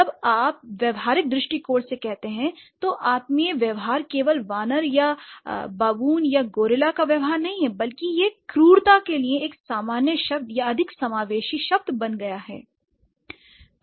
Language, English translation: Hindi, So, when you say primate behavior, primate behavior is not like just the behavior of an ape or a baboon or a gorilla, rather it has become a generic term or more inclusive term for brutishness, right